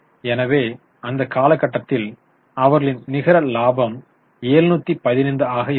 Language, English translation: Tamil, So, let us go to their net profit or profit for the period which is 715